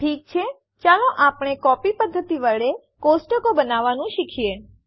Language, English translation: Gujarati, Okay, let us learn to create tables by using the copy method